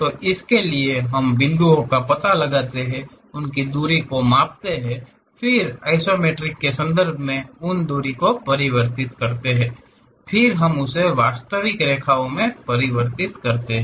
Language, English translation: Hindi, We locate the points, measure those distance; then convert those distance in terms of isometric, then we will convert into true lines